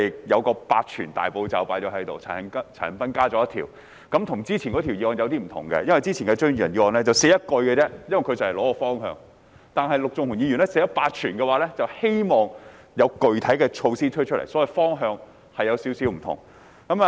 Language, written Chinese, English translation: Cantonese, 與上一項議案有點不同，因為張宇人議員的議案措辭只有一句，原因是他只提出方向，但陸頌雄議員則提出"八全"，希望政府推出具體的措施，所以兩項議案有點不同。, This motion is a bit different from the previous one because the wording of Mr Tommy CHEUNGs motion is only one sentence in which he proposes the direction only . Mr LUK Chung - hung has proposed eight tonics and hopes that the Government will introduce specific measures . Therefore the two motions are a bit different